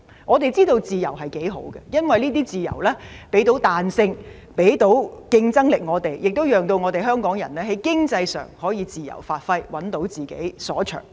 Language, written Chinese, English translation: Cantonese, 我們知道自由有多可貴，因為這些自由給予我們彈性和競爭力，亦讓香港人在經濟上可以自由發揮，找到自己所長。, We know that freedom is invaluable because it gives us flexibility and competitiveness and freedom allows Hong Kong people to identify and develop their talents economically